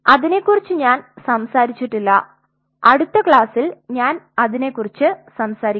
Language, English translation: Malayalam, I have not talked about that I will I will talk about very soon in the next class on it